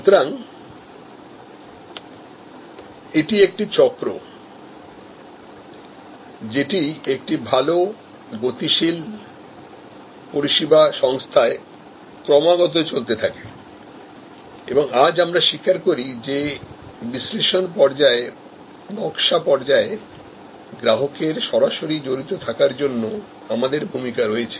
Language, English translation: Bengali, So, this is the cycle that continuous in a good dynamic service company and today, we recognize that we have a role for direct involvement of the consumer at every stage, the analysis stage, design stage